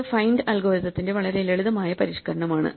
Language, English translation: Malayalam, This is a very simple modification of the find algorithm